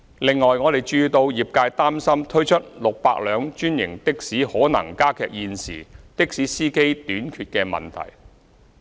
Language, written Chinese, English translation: Cantonese, 此外，我們注意到業界擔心推出600輛專營的士可能加劇現時的士司機短缺的問題。, Moreover we have noted the concern of the trade that the introduction of 600 franchised taxis may aggravate the existing shortage of taxi drivers